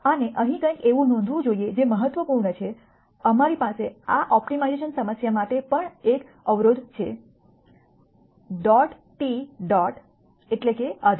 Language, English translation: Gujarati, And notice here something that is important we also have a constraint for this optimization problem s dot t dot means subject to